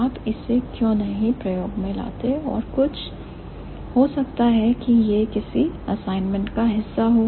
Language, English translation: Hindi, Why don't you try this and do some, maybe this is going to be a part of some questions in the assignment